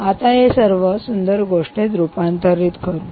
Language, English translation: Marathi, let's now convert all this into a beautiful story